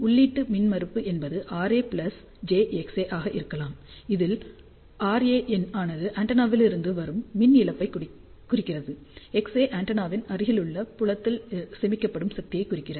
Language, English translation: Tamil, So, input impedance can be R A plus j X A where R A represents power loss from the antenna and X A gives power stored in the near field of antenna